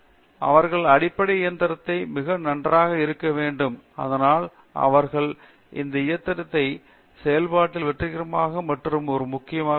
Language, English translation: Tamil, So, itÕs good for them to be very good at by the fundamental so that they are successful in that machine process and that is one major